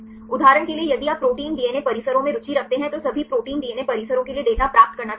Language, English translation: Hindi, For example if you want to get the data for all protein DNA complexes right if you are interested in the protein DNA complexes right